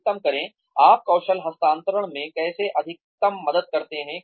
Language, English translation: Hindi, Maximize, how do you help the skills transfer